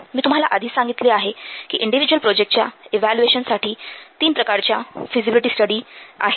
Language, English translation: Marathi, I have already told you that three kinds of feasibility studies are required to evaluate individual projects